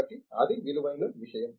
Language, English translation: Telugu, So, that is something that is worth